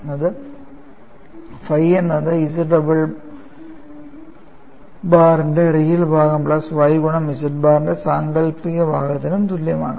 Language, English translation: Malayalam, It is this phi equal to real part of Z double bar plus y imaginary part of Z bar